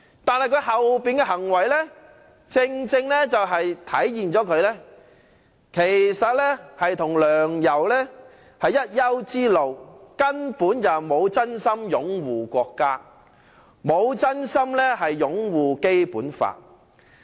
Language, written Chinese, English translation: Cantonese, 但他之後的行為正正體現出他與梁、游是一丘之貉，根本不是真心擁護國家和《基本法》。, However his subsequent conduct has reflected precisely that he is in the same gang and of the same ilk of Sixtus LEUNG and YAU Wai - ching . Basically they do not genuinely uphold the Basic Law and the country